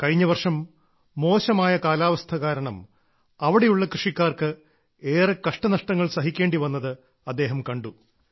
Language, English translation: Malayalam, Last year he saw that in his area farmers had to suffer a lot due to the vagaries of weather